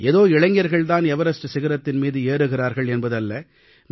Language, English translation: Tamil, And it's not that only the young are climbing Everest